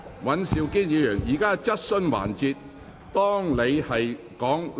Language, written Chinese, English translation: Cantonese, 尹兆堅議員，現在是質詢環節。, Mr Andrew WAN this is the question session